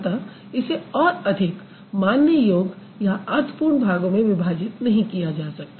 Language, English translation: Hindi, So, it cannot be broken down any further into any recognizable or meaningful parts